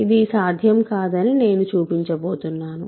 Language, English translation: Telugu, So, I am going to show that this is not possible